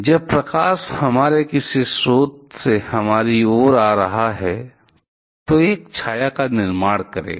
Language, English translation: Hindi, When light is coming from our from some source towards us then it will create a shadow